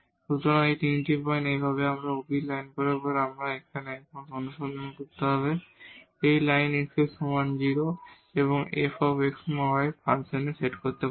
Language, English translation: Bengali, So, these are the 3 points; similarly along this ob line, we have to search now here along this line x is equal to 0, we can set in f xy function